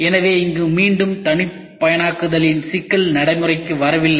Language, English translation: Tamil, So, here again the problem of customization is not coming into effect